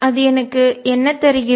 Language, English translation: Tamil, Then what does it give me